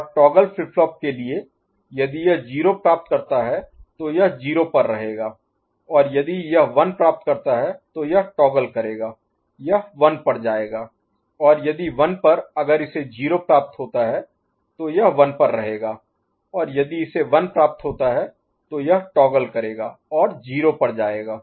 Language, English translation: Hindi, And for toggle flip flop, if it receives 0 then it will stay at 0 and if it receives 1 it will toggle it will go to one and if at 1 if it receives 0 it will stay at 1 and if it receives 1 it will toggle and go to 0 ok